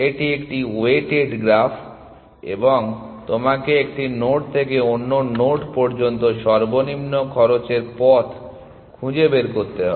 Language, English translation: Bengali, It is a weighted graph and you have to find the least cost path from one node to another nod